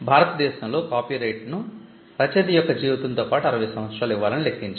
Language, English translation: Telugu, Copyright in India has a term which is computed as life of the author plus 60 years